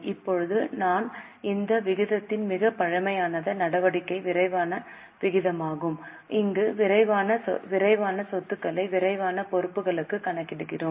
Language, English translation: Tamil, Now a more conservative major of this ratio is quick ratio where we calculate quick assets to quick liabilities